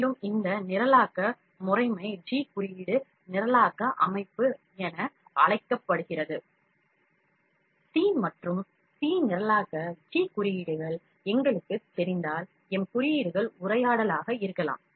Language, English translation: Tamil, And, this programming system is known as G code programming system; if we know C and C programming G codes and M codes might be conversant